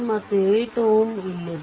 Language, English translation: Kannada, And this 8 ohm is here